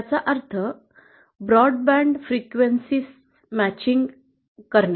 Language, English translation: Marathi, It means matching for a wide range of frequencies